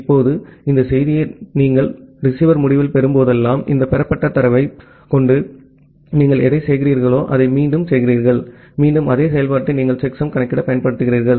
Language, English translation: Tamil, Now, whenever you are receiving this message at the receiver end what you do whatever you are receiving with this received data, again you apply the same function to compute the checksum